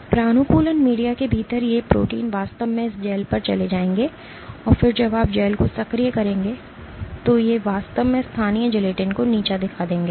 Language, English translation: Hindi, These proteins within the conditioned media will actually migrate on this gel and then when you activate the gel they actually we degrade the local gelatin